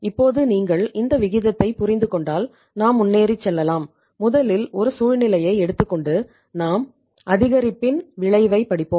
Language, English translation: Tamil, Now if you understand this ratio then we will move further and let us take a situation that first of all we will study the effect of increase